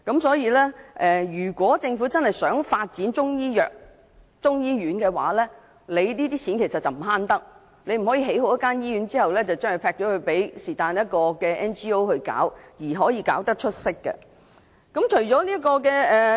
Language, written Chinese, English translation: Cantonese, 所以，如果政府真的想發展中醫藥或中醫院，這些錢便不能省，不可以在興建醫院後，便拋給非政府機構接辦，又期望它們會做得出色。, Hence if the Government really wants to development Chinese medicine or a Chinese medicine hospital it should not save money by throwing the hospital to an NGO for operation after construction and expecting it to achieve remarkable performance